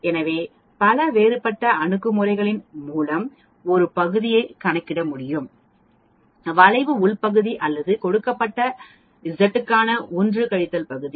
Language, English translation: Tamil, So, many different approaches by which one could calculate the area under the curve either internally area or the 1 minus area for a given Z